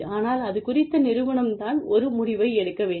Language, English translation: Tamil, But, the organization has to take a decision, on that